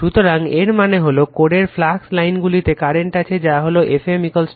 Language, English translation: Bengali, So, that means, the flux lines in the core enclose a current of F m is equal to N I right